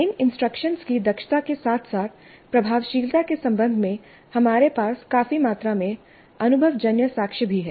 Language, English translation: Hindi, We also have considerable amount of empirical evidence regarding the efficiency as well as the effectiveness of these instructions